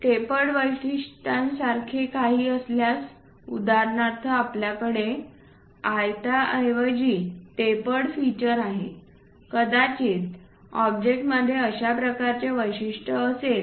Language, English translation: Marathi, If there are anything like tapered features for example, here, we have a tapered feature instead of having a rectangle perhaps the object might be having such kind of feature